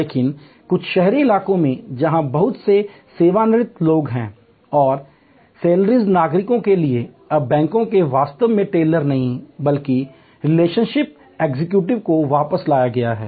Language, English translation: Hindi, But, in some urban areas, where there are colonies having lot of retired people and for seiner citizens, now the banks have brought back not exactly tellers, but more like relationship executives